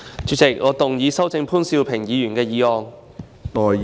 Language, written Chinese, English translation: Cantonese, 主席，我動議修正潘兆平議員的議案。, President I move that Mr POON Siu - pings motion be amended